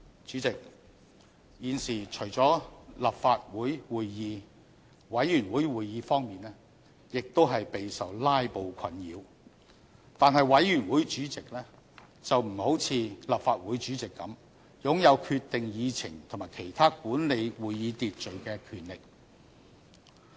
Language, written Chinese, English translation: Cantonese, 主席，現時除了立法會會議，委員會會議方面亦備受"拉布"困擾，但是委員會主席並不像立法會主席般擁有決定議程及其他管理會議秩序的權力。, President apart from Council meetings committees meetings have also been plagued by filibustering . However unlike President of the Legislative Council chairmen of committees do not have the power to decide the agenda or regulate meeting order